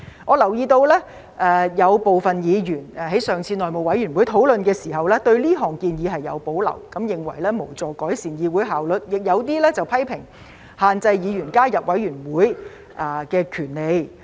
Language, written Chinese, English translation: Cantonese, 我留意到有部分議員在上次內務委員會會議討論時對這項建議有保留，認為無助改善議會效率，亦有部分議員批評限制議員加入委員會的權利。, I note that some Members had reservations about this proposal during the discussion at the last meeting of the House Committee HC . They considered that this would not help improve the efficiency of the Council while some Members criticized that this would restrict Members right to join committees